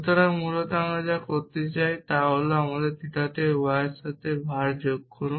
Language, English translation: Bengali, So, essentially what we really want do is to say add var egual to y to my theta